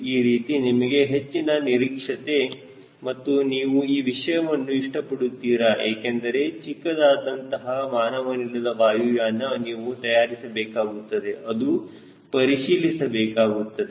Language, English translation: Kannada, this way you will get a broader prospective and you will really appreciate this course more, because small unmanned vehicle you can make yourself and check for yourself